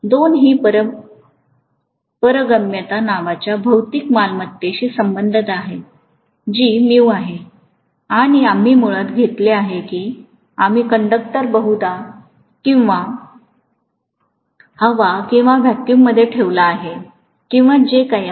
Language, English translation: Marathi, The 2 are related by a material property called permeability which is mu and we have taken basically that we have placed a conductor probably in air or vacuum or whatever